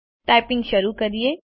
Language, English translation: Gujarati, Lets start typing